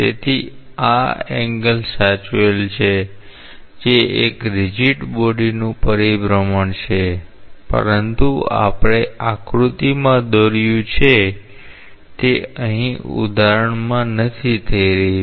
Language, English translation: Gujarati, So, that this angle is preserved that is a rigid body rotation, but that is not happening here in at least in the example that we have drawn in the figure